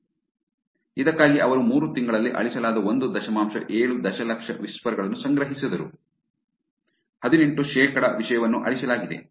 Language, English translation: Kannada, So, for this they collected the 1 point 7 million whispers, that have been deleted in 3 months, 18 percent of the content deleted